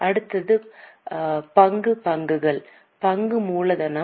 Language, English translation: Tamil, Next one is equity shares, share capital